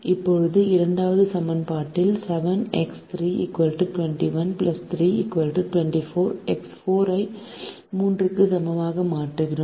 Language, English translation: Tamil, now we substitute in the second equation seven into three: twenty one plus three equal to twenty four, x four equal to three